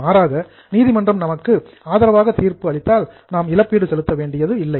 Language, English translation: Tamil, If court gives decision in our favor, we may not have to pay